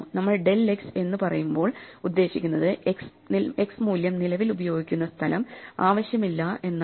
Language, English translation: Malayalam, When we say del we are saying that the space that x is currently using for itÕs value is no longer needed